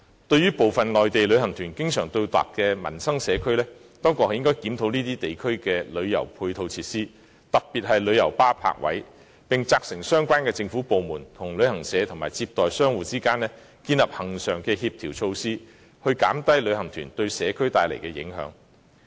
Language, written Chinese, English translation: Cantonese, 對於部分內地旅行團經常到達的民生社區，當局應檢討這些地區的旅遊配套設施，特別是旅遊巴士泊位，並責成相關政府部門與旅行社及接待商戶之間建立恆常的協調措施，減低旅行團對社區帶來的影響。, The authorities should review the tourism supporting facilities especially parking spaces for coaches in local communities frequented by some Mainland tours and also instruct the relevant government departments to work with travel agencies and shops receiving visitors in devising regular coordinating measures in order to reduce the impact of these tours on the local communities